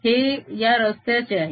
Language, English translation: Marathi, this is on this path